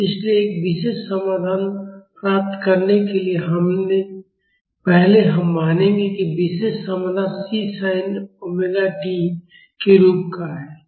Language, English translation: Hindi, So, to get a particular solution, first we will assume that the particular solution is of the form C sin omega t(Csin(